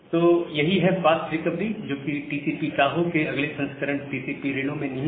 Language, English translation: Hindi, So, this is the idea of fast recovery that has been incorporated in TCP Reno, the next version of TCP Tohoe